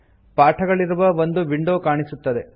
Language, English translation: Kannada, The window comprising the lesson appears